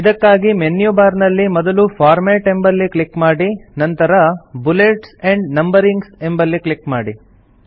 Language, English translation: Kannada, This is accessed by first clicking on the Format option in the menu bar and then clicking on Bullets and Numbering